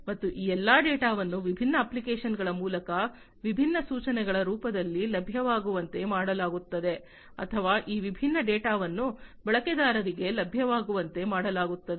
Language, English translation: Kannada, And all these data are also made available through different apps in the form of different instructions or these different data are made available to the users